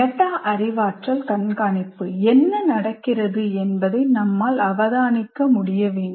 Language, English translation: Tamil, Now coming to metacognitive monitoring, I should be able to observe what is happening